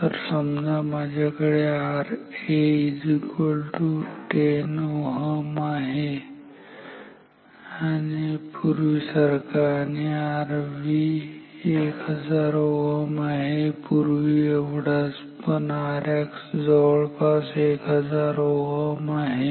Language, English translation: Marathi, So, if we had say R A equals 10 ohm as before R V equals 1,000 ohm as before, but R X equals say around 1,000 ohm